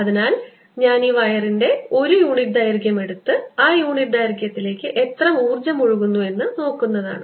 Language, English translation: Malayalam, so if i take a unit length of this wire and see how much energy is flowing into that unit length is going to be so energy flowing in per unit length